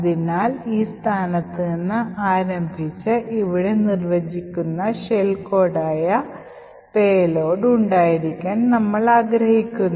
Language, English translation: Malayalam, So, starting from this location we would want our payload that is the shell code defined over here to be present